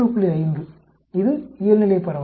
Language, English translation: Tamil, 5, it is normal distribution actually